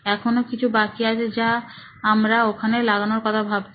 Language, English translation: Bengali, There are still a few more that we were thinking on putting it there